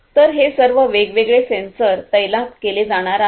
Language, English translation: Marathi, So, all of these different sensors are going to be deployed